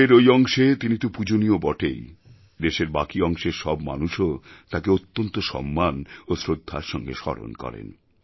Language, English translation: Bengali, He is greatly revered in that part of our country and the whole nation remembers him with great respect and regard